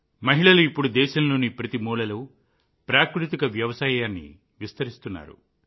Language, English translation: Telugu, Women are now extending natural farming in every corner of the country